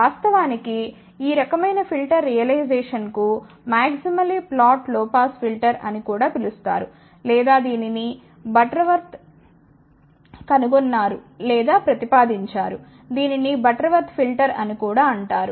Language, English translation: Telugu, In fact, this type of the filter realization is also known as maximally flat low pass filter, or it was invented by your proposed by butterwort it is also known as butterwort filter